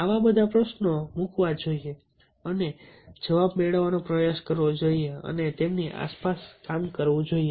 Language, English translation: Gujarati, so all such questions should be put and try to get answer and worked around ah them